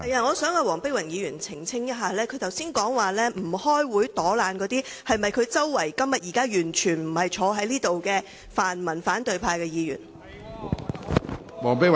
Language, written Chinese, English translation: Cantonese, 我想黃碧雲議員澄清，她剛才提到不出席會議、躲懶的議員，是否指她座位附近，現在完全不在席的泛民反對派議員？, When she said just now that certain lazy Members did not show up at meetings was she referring to opposition Members from the pan - democratic camp near her seat who are not present at all now?